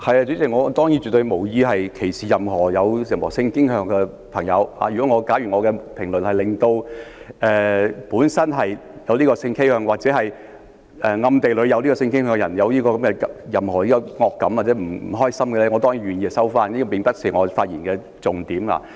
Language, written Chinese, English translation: Cantonese, 主席，我當然絕對無意歧視任何性傾向的人，假如我的言論令本身有這種性傾向或者暗地裏有這種性傾向的人有任何惡感或不開心，我當然願意收回，但這並不是我發言的重點。, President I certainly have no intention to discriminate against any persons sexual inclination . If what I said made anyone with such a sexual inclination or anyone who unknowingly has such an inclination upset or unhappy I am surely willing to withdraw those words but that is not the main point of my speech